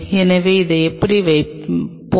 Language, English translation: Tamil, So, let us put it like this